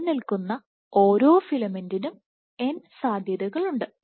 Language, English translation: Malayalam, n possibilities are there for each filament that exists